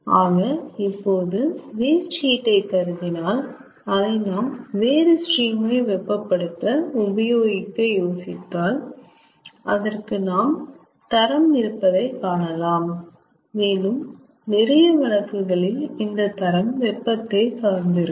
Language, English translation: Tamil, so if we consider, even if we consider that the waste heat we are using for heating another stream, we can think we can see that it has got a quality and in most of the cases quality is denoted by its temperature